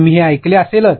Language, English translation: Marathi, You must have heard this